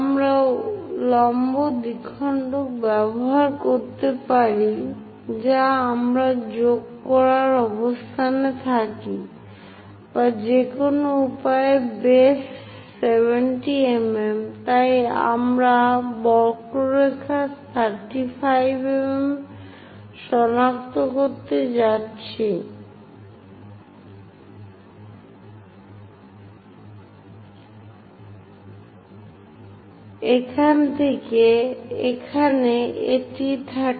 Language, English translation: Bengali, One we can use perpendicular bisector so that we will be in a position to join; or any way base is 70 mm, so we can locate 35 mm on the curve, from here to here 35, this is the one